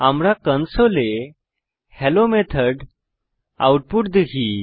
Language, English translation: Bengali, We see the output Hello Method and 7